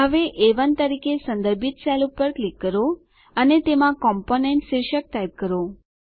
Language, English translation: Gujarati, Now click on the cell referenced as A1 and type the heading COMPONENT inside it